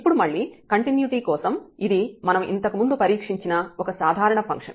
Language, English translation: Telugu, Now for the continuity again it is a simple function we have already tested before